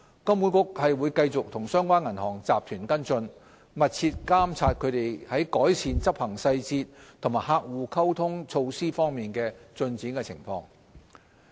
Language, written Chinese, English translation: Cantonese, 金管局會繼續與相關銀行集團跟進，密切監察其在改善執行細節及客戶溝通措施方面的進展情況。, HKMA will continue to follow up with the relevant banking group and closely monitor its progress in taking forward improvement measures on execution and customer communication